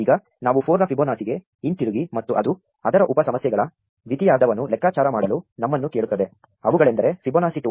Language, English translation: Kannada, Now we go back up to Fibonacci of 4, and it asks us to compute the second half of its sub problems, namely Fibonacci of 2